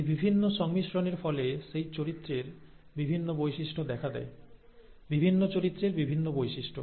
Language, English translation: Bengali, And these different combinations result in different traits of that character; different yeah different traits of that character